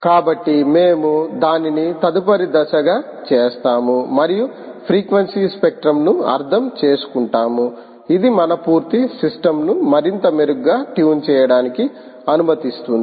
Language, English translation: Telugu, so we will do that as a next step and try and understand the frequency spectrum, ok, ah, which will allow us to tune our complete system much better